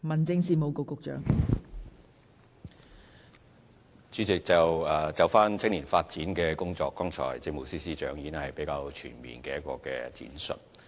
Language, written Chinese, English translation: Cantonese, 代理主席，就青年發展的工作，政務司司長剛才已作了一個全面的闡述。, Deputy President the Chief Secretary for Administration has given a full account of the work of youth development just now